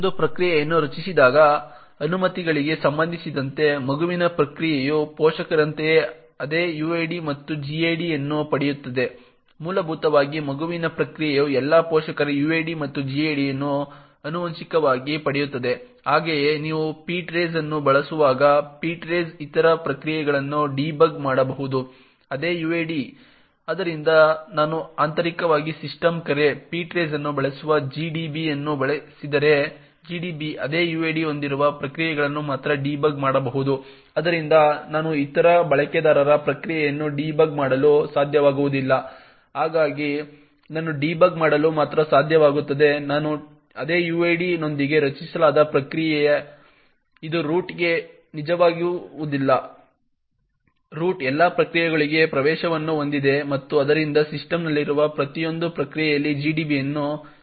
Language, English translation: Kannada, With respect to the permissions when a process gets created the child process gets the same uid and gid as the parent, essentially the child process inherits all the parents uid and gid as well, similarly when you are using ptrace, ptrace can debug other processes with the same uid, thus if I use GDB for example which internally uses the system call ptrace, GDB can only debug processes which have the same uid, therefore I will not be able to debug other users process, so I will only be able to debug a process which is created with my same uid, this of course does not hold true for root, the root has access to all processes and therefore can run GDB on every process present in the system